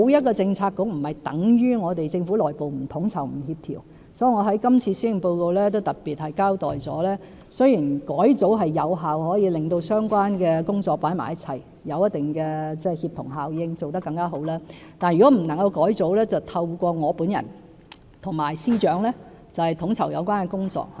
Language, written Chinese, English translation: Cantonese, 所以，我在今次的施政報告中也特別交代，雖然改組可有效地把相關工作放在一起，產生一定的協同效應，做得更好，但如果不能改組，便透過我本人及司長來統籌有關工作。, As I have specifically mentioned in the Policy Address a revamp can indeed align relevant efforts effectively and thus create a certain synergy effect for better results . However when revamp is not possible the Secretaries and I will take charge of coordination